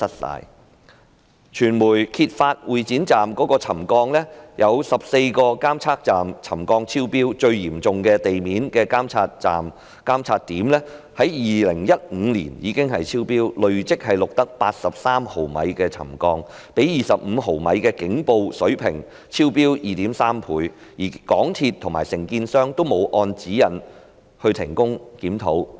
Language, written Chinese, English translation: Cantonese, 另外，傳媒揭發會展站出現沉降，有14個監測點沉降超標，最嚴重的地面監測點在2015年已經超標，累積錄得83毫米沉降，較25毫米的警報水平超標 2.3 倍，而港鐵公司和承建商均沒有按指引停工檢討。, Moreover it was exposed by the media that settlement had also occurred at Exhibition Centre Station with readings exceeding the trigger level at 14 monitoring points and that the ground surface monitoring point with the most serious settlement reading was already found to have excessive settlement in 2015 with accumulated settlement of 83 mm which is 2.3 times higher than the alarm level of 25 mm . But MTRCL and the contractor did not suspend the works to conduct a review as required by the guidelines